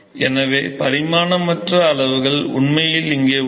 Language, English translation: Tamil, So, really dimensionless quantities are actually present here